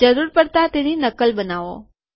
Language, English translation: Gujarati, make a copy of it if required